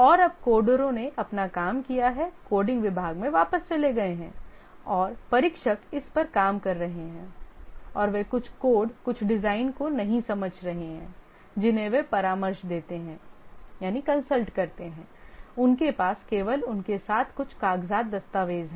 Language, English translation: Hindi, And now the coders have done their work gone to the coding department back and the testers are working on it and they don't understand some code, some design, whom do they consult